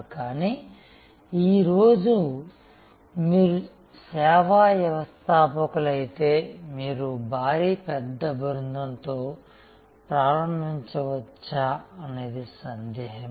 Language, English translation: Telugu, But, it is doubtful that whether today if you are as service entrepreneur, you can start with that sort off huge big band